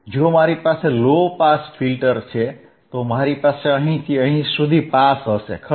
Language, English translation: Gujarati, If I have a low pass filter means, I will have pass from here to here, correct